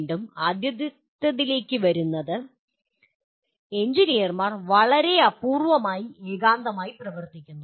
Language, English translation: Malayalam, Again, coming to the first one, actually engineers very rarely work in isolation